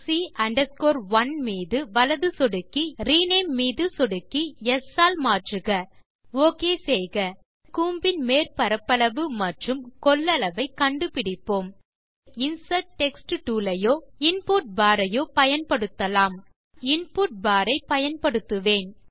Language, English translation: Tamil, Right click on object c 1 click on Rename Replace c 1 with s Click OK Lets find now surface area and volume of the cone, We can use either the Insert text tool from the tool bar or we can use the input bar